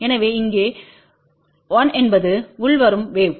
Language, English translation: Tamil, So, here a 1 is the incoming wave